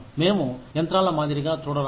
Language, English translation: Telugu, We do not want to be treated, like machines